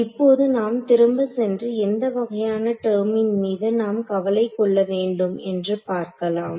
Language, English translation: Tamil, Now, let us go back and see what is the kind of term that we have to worry about right